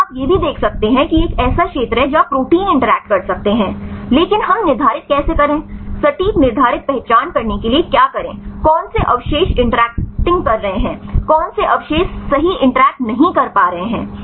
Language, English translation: Hindi, Here also you can see here this is the this area where the proteins can interact, but how we quantify how to exact identify, which residues are interacting which residues not interacting right